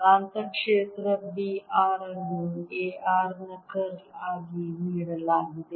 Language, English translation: Kannada, the magnetic field, b r is given as curl of a r